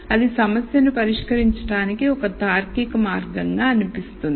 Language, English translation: Telugu, So, that seems like a logical way to solve this problem